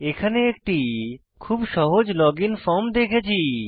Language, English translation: Bengali, We can see a very simple login form here